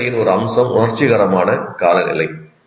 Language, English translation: Tamil, The situation, one aspect of situation is emotional climate